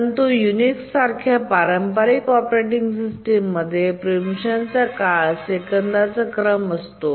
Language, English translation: Marathi, But if you look at the traditional operating systems such as the Unix, the preemption time is of the order of a second